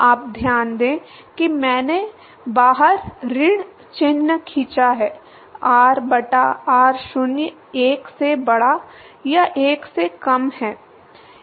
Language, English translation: Hindi, You note that I have pulled a minus sign outside; r by r0 is greater than 1 or less than 1